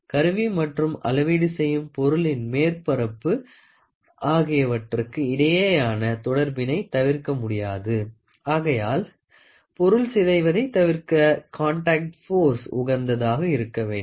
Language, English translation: Tamil, Whenever a contact between the instrument and the surface of the job being measured is inevitable, the contact force should be optimum to avoid distortion